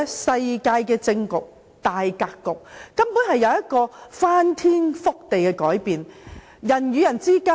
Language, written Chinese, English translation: Cantonese, 世界政治的大格局根本隨時會有翻天覆地的改變。, They show us that the general situation in world politics may have revolutionary changes at any time